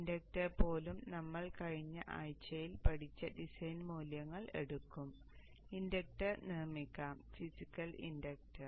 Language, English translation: Malayalam, Even the inductor, we will take the design values that we learned in the last week and build the physical inductor